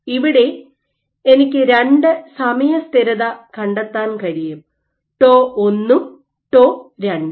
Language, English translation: Malayalam, So, you can backtrack two time constants, tau 1 and tau 2